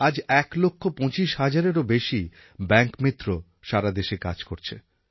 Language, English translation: Bengali, 25 lakh Bank Mitras are serving in the country